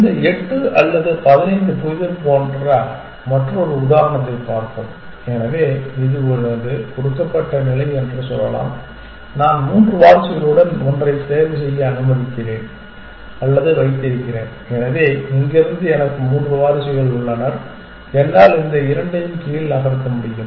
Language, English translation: Tamil, Let us look at another example which is this eight or fifteen puzzle, so let us say this is my given state and I have or let me choose one with three successors, so I have three successors from here one is that I can move this two down